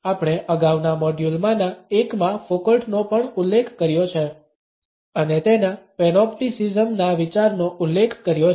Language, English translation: Gujarati, We have also refer to Foucault in one of the previous modules and have referred to his idea of Panopticism